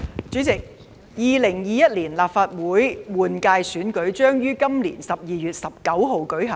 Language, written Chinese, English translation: Cantonese, 主席 ，2021 年立法會換屆選舉將於今年12月19日舉行。, President the 2021 Legislative Council LegCo General Election will be held on 19 December this year